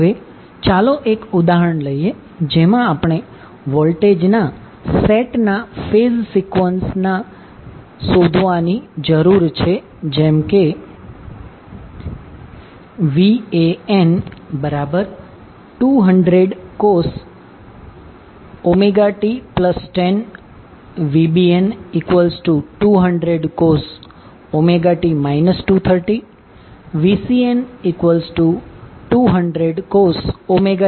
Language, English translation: Gujarati, Now let us take one example in which we need to determine the phase sequence of the set of voltages like VAN is equal to 200 cos omega T plus 10, VBN is given as 200 cos omega T minus 230 and VCN is given 200 cos omega T minus 110